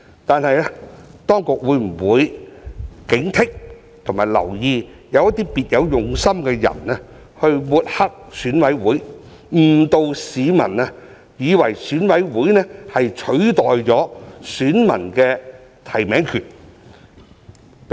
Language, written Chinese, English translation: Cantonese, 但是，當局會否警惕和留意有些別有用心的人抹黑選委會，誤導市民，以為選委會取代了選民的提名權？, Notwithstanding this will the authorities exercise vigilance and watch out for some people with ulterior motives who would smear EC and mislead the public into thinking that EC has replaced the electors right of making nominations?